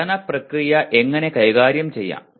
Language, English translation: Malayalam, How do I manage the learning process